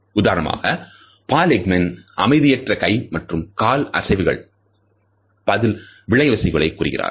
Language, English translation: Tamil, For example, Paul Ekman has suggested that restless movements of hands and feet are perhaps a throwback to our flight reactions